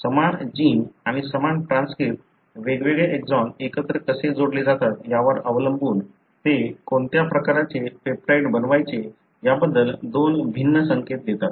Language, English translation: Marathi, So, the same gene and the same transcript, depending on how different exons are joined together, gives two different signal as to what kind of peptide it has to make